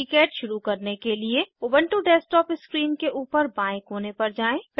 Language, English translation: Hindi, To start KiCad, Go to top left corner of ubuntu desktop screen